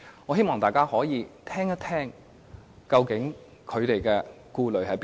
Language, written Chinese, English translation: Cantonese, 我希望大家先聆聽他們的顧慮是甚麼？, I hope all of us can listen to their worries first